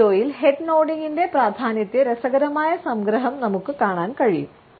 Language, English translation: Malayalam, In this video we can look at interesting summarization of the significance of nod and shake of the head